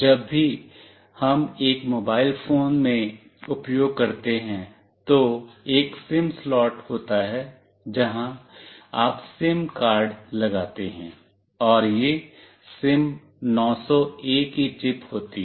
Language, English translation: Hindi, Whenever we use in a mobile phone, there is a SIM slot where you put a SIM card, and this is the chip of the SIM900A